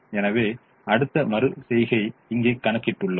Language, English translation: Tamil, so i have shown the next iteration here